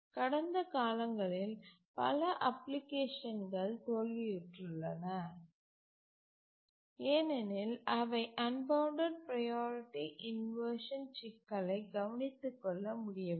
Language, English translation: Tamil, Many applications in the past have failed because they could not take care of the unbounded priority inversion problem adequately